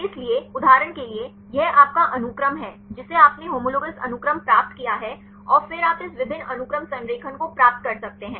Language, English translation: Hindi, So, for example, this is your sequence you obtained the homologous sequences and then you can get this multiple sequence alignment